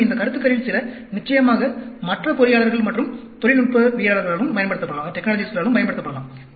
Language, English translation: Tamil, And, some of these concepts, of course, can be used by other engineers and technologists as well